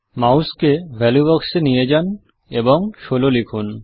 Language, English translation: Bengali, Move the mouse to the value box and enter 16